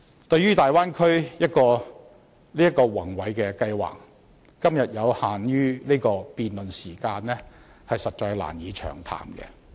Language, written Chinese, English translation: Cantonese, 對於大灣區這個宏偉計劃，以今天有限的辯論時間，實在難以詳談。, The project of developing the Bay Area is so magnificent that it would not be possible to go into details with our limited debate time today